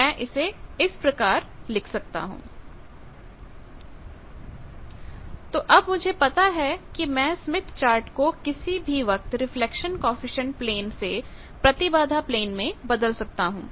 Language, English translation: Hindi, So, now, I know that Smith Chart is anytime transformation from reflection coefficient plane to impedance plane